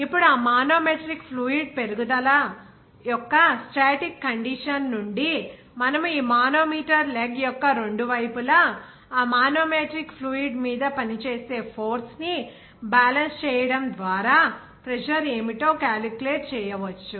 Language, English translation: Telugu, Now, from that static condition of that manometric fluid rise, from there are you can calculate what should be the pressure just by balancing that force acting over that manometric fluid on both sides